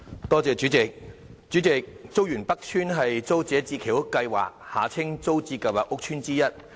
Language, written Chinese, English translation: Cantonese, 代理主席，竹園北邨是租者置其屋計劃屋邨之一。, Deputy President Chuk Yuen North Estate is one of the housing estates under the Tenants Purchase Scheme TPS